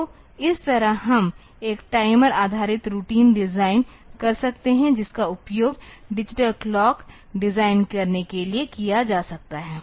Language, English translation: Hindi, So, in this way we can design a timer based routine that can be used for designing a digital clock